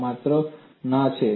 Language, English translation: Gujarati, The answer is only no